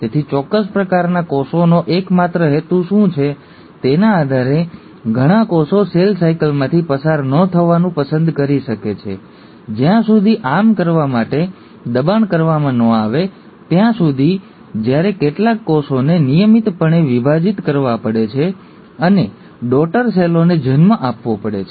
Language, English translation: Gujarati, So, depending upon what is the sole purpose of a given type of cell, lot of cells may choose not to undergo cell cycle unless pushed to do so; while certain cells have to routinely divide and give rise to daughter cells